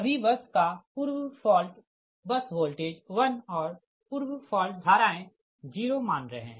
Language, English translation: Hindi, so assume pre fault bus voltage all are one and pre fault currents are zero, right